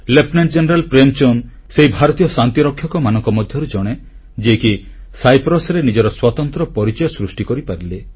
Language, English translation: Odia, Lieutenant General Prem Chand ji is one among those Indian Peacekeepers who carved a special niche for themselves in Cyprus